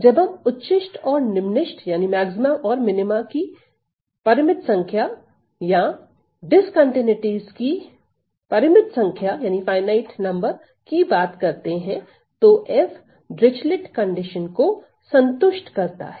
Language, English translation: Hindi, So, we are dealing with finite number of maxima or minima or finite number of discontinuities, then f is said to satisfy Dirichlet condition